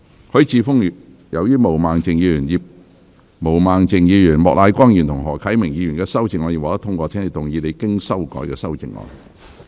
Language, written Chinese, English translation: Cantonese, 許智峯議員，由於毛孟靜議員、莫乃光議員及何啟明議員的修正案已獲得通過，請動議你經修改的修正案。, Mr HUI Chi - fung as the amendments moved by Ms Claudia MO Mr Charles Peter MOK and Mr HO Kai - ming have been passed you may move your revised amendment